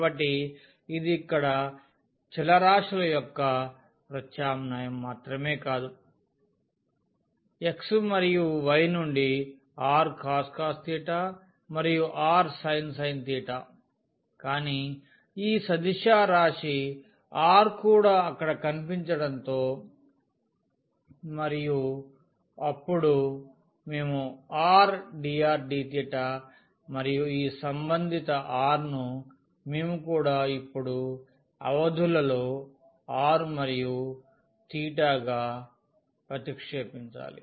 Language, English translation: Telugu, And so, it is not just the substitution of the variables here x and y 2 r cos theta and r sin theta, but also this vector r had appeared there and then we have r dr d theta and corresponding to this r we have to also substitute now the limits of the r and theta